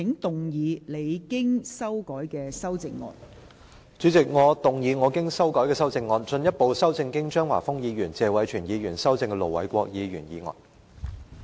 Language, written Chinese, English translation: Cantonese, 代理主席，我動議我經修改的修正案，進一步修正經張華峰議員及謝偉銓議員修正的盧偉國議員議案。, Deputy President I move that Ir Dr LO Wai - kwoks motion as amended by Mr Christopher CHEUNG and Mr Tony TSE be further amended by my revised amendment